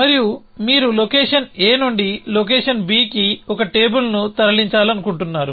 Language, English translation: Telugu, And you want to move let say 1 table from location a to location b